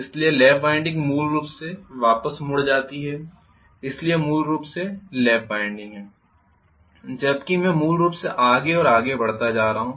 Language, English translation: Hindi, So lap winding essentially folds back, so this is essentially lap winding whereas I am going to have essentially this is going progressively further and further